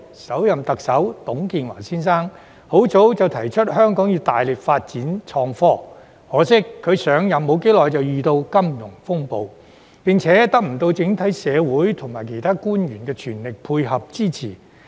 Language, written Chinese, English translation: Cantonese, 首任特首董建華先生，很早期已提出香港要大力發展創科，可惜他上任不久便遇上金融風暴，並且未能得到整體社會和其他官員的全力配合支持。, The first Chief Executive Mr TUNG Chee - hwa had already proposed at a very early stage that Hong Kong should vigorously develop IT . Unfortunately the financial turmoil came shortly after his taking of office and he failed to gain the full support of the entire community and other officials